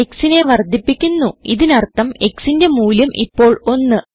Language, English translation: Malayalam, Now the value of x is 2